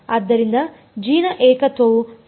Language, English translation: Kannada, So, the singularity of g is integrable